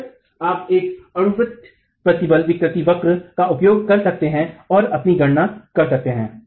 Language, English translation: Hindi, Of course, you can use a parabolic strain curve and make your calculations